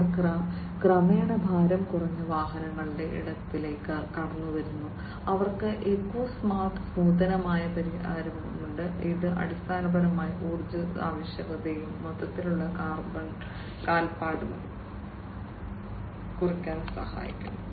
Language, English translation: Malayalam, They are also gradually into the lightweight vehicles space, they have the eco smart innovative solution, which basically helps in reducing the energy requirement and the overall carbon footprint